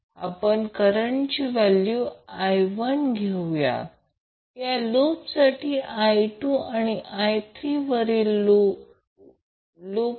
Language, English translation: Marathi, So we give the value of current as I 1 for this loop I 2 for this loop and I 3 for the top loop